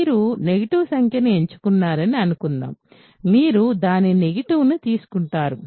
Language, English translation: Telugu, Suppose you pick a negative number you simply take its negative